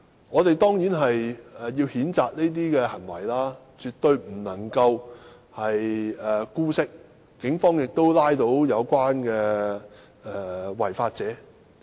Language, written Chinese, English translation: Cantonese, 我們固然要譴責這種行為，絕不能姑息，而警方亦已拘捕違法者。, Of course we denounce such conduct and demand strict actions against this